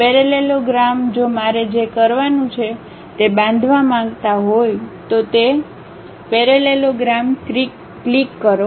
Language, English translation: Gujarati, Parallelogram if I would like to construct what I have to do click that parallelogram